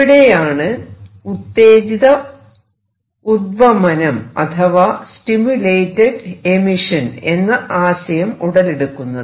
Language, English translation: Malayalam, So, this is the concept of stimulated emission